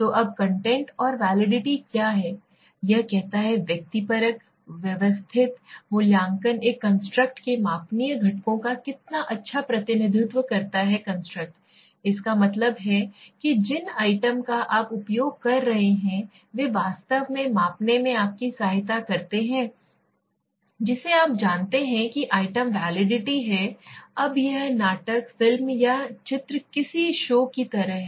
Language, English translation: Hindi, So now what is content validity, it says the subjective, systematic assessment of how well a construct s measurable components represent the constructs, that means the items that you are using are they really will help you in measuring that construct yes or no, that is what you know content validity says, so it is from the content, now it is like the drama, movie or picture or any show